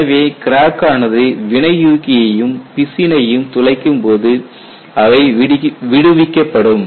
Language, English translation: Tamil, So, when the crack goes and pierces the catalyst as well as the resin, they get released and then healing takes place